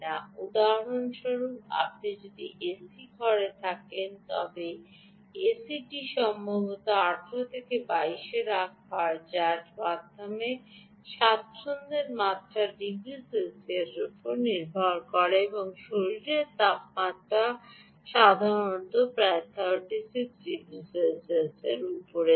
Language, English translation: Bengali, for example, if you are in an a c room, the a c is particularly is perhaps maintained at nineteen to twenty two, depending on one's comfort level, degrees celsius ah and the body temperature is typically at around thirty six